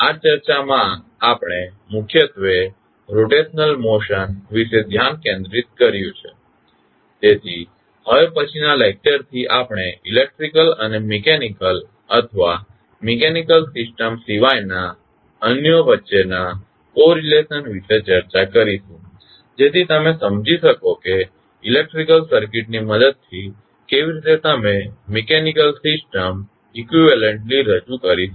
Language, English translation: Gujarati, In this discussion we mainly focussed about the rotational motion, so from next lecture onwards we will discuss about the correlation between electrical and the mechanical or other than the mechanical system so that you can understand how the mechanical system can be equivalently represented with the help of electrical circuit